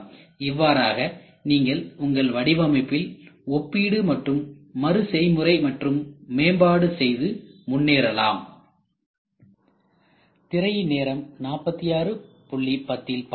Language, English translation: Tamil, So, that is how you compare and reiterate, reimprove your design and go further